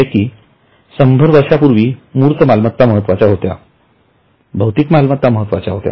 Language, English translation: Marathi, Say 100 years before, tangible assets were very important